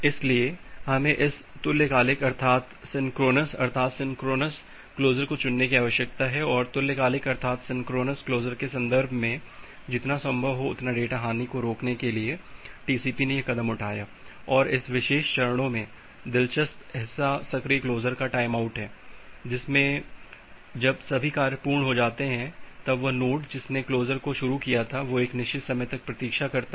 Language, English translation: Hindi, So, we need to go for this synchronous closure and in case of synchronous closure to prevent the data loss as much as possible, TCP has taken this steps and in this particular steps, the interesting part is this timeout for active closure that once all the things is over the node which is initiating for the closure it waits for certain amount of time